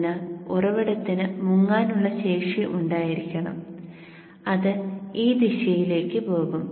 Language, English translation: Malayalam, So the source has to have sinking capability and it will go in this direction